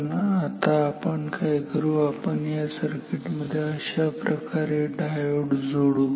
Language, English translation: Marathi, But, what we will do now we will put a diode in this circuit like this